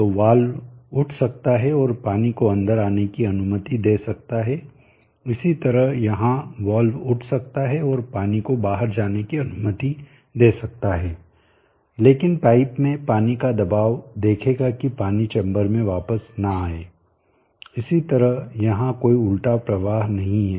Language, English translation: Hindi, So the valve can lift and allow water to come in likewise here the valve can lift and allow water to go out but the pressure of the water on the pipe will see that the water does not come back in to the chamber, likewise here there is not reverse flow, so this is the inlet and this is the outlet